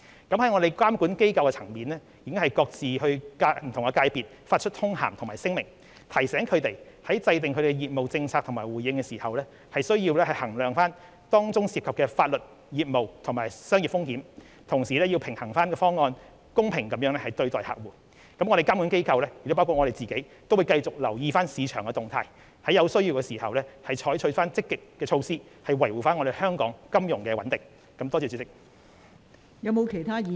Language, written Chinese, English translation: Cantonese, 本港的監管機構已各自向不同界別發出通函和聲明，提醒他們在制訂業務政策和回應時，需要衡量當中涉及的法律、業務和商業風險，同時要平衡各方，公平對待客戶。本港的監管機構會繼續留意市場動態，有需要時會採取積極措施，維護香港的金融穩定。, The regulatory authorities in Hong Kong have issued circulars and statements to various sectors reminding them that in formulating business policies and responses while they have to consider the legal business and commercial risks involved they also need to balance all factors and treat their